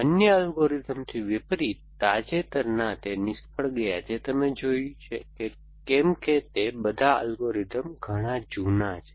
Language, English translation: Gujarati, So, failed recent by in contrast to the other algorithm that you have seen all those algorithms were quite old